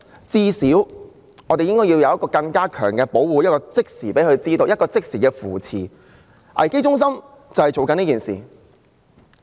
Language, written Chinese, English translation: Cantonese, 最少我們要有更強的保護和即時的扶持，而危機中心便是做這些工作。, At least we should provide stronger protection and immediate support and CSCs are exactly doing these jobs